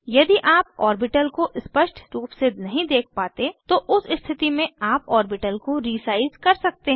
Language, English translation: Hindi, In case you are not able to view the orbital clearly, you can resize the orbital